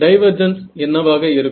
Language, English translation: Tamil, Divergence will be